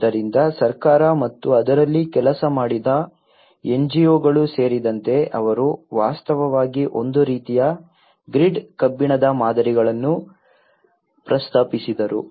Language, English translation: Kannada, So, including the government and the NGOs who have worked on it, they actually proposed a kind of grid iron patterns